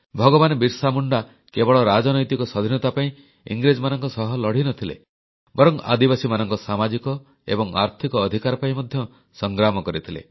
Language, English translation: Odia, BhagwanBirsaMunda not only waged a struggle against the British for political freedom; he also actively fought for the social & economic rights of the tribal folk